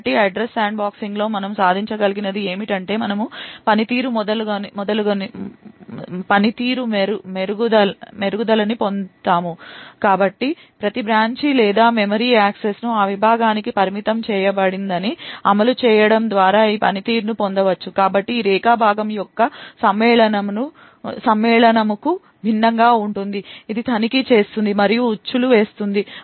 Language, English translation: Telugu, So what we were able to achieve in Address Sandboxing is that we get a performance improvement so this performance is obtained by enforcing that every branch or memory access is restricted to that segment, so this is very much unlike the Segment Matching which checks and traps